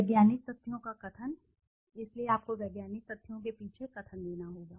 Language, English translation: Hindi, Statement of the scientific facts, so you have to give the statement behind the scientific facts